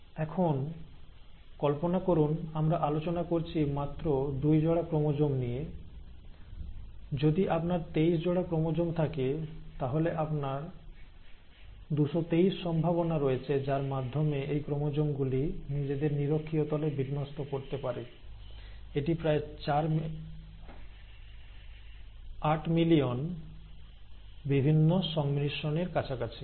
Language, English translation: Bengali, Now imagine this we are talking with just two pairs of chromosomes, if you have twenty three pairs of chromosomes, you have 223 possibilities in which, these chromosomes can arrange at the equatorial plane, and this is close to about eight million different combinations, right